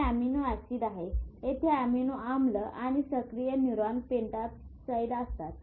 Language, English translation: Marathi, So there are small molecule neurotransmitter, there are amino acids, there are neuroactive peptides